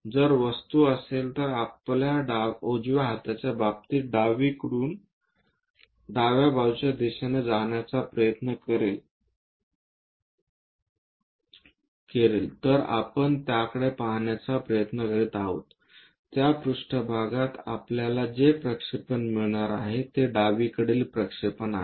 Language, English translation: Marathi, If the object is this, with respect to our hands like right hand, left hand from left side direction we are trying to look at it, so the projection what we are going to get on that plane is left side projection